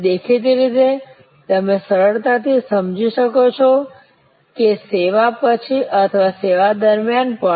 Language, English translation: Gujarati, And; obviously, you can easily understand that after the service or even during the service